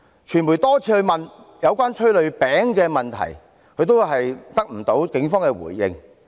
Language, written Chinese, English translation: Cantonese, 傳媒多次詢問有關煙霧餅的問題，也得不到警方回應。, Repeated questions by the media about smoke bombs received no response